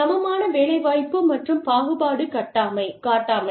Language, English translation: Tamil, Equal employment opportunity and non discrimination